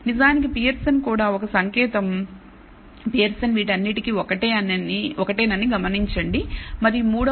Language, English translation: Telugu, In fact, the Pearson also a sign notice that the Pearson was same for all this and the third one also is fairly high 0